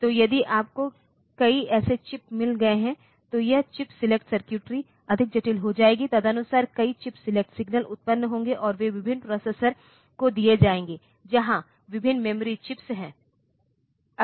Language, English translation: Hindi, So, if you have got multiple such chips, then this chip selections circuitry will become more complex, accordingly a number of chip select signals will be generated, and they will be given to various processors where various memory chips